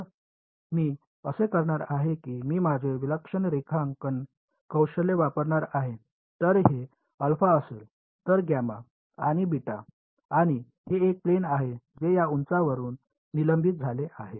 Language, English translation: Marathi, So, it is going to be if I am going to use my fantastic drawing skills this would be alpha then gamma and beta and it is a plane that is at suspended by these heights over here ok